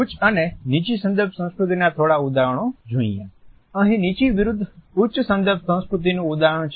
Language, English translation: Gujarati, Some examples of higher and lower context culture; here is an example of low versus high context culture